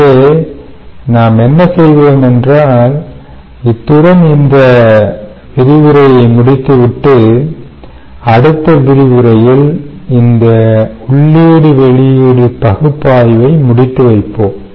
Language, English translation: Tamil, ok, so what we will do is we will ah end this lecture with this ah discussion and in the next lecture, what we will do is we will wrap up our input output analysis